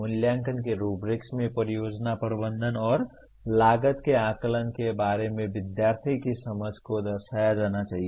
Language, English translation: Hindi, The rubrics of evaluation should reflect the student’s understanding of the project management and estimation of cost